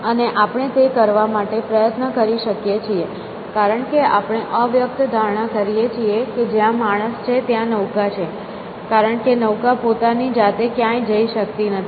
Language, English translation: Gujarati, And we can effort to do that, because we make an implicit assumption that, wherever the man is the boat is there essentially, because the boat cannot go by itself some were